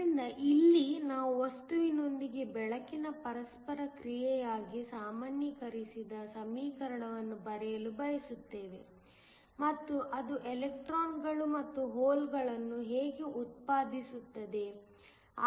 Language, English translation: Kannada, So, here we want to write a generalized equation for the interaction of the light with matter, and how it generates electrons and holes